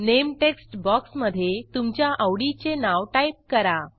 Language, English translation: Marathi, In the Name text box, type the name that you wish to add